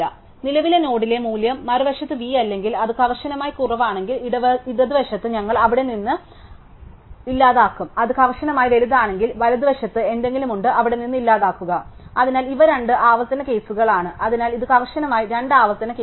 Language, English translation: Malayalam, If form the other hand that value at the current node is not v, so if it is strictly less than, then it there is something to the left we delete from there, if it is strictly greater then at there is something to the right we delete from there, so these are the two recursive cases